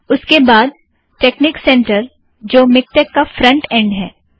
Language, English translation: Hindi, Then texnic center, a free front end to miktex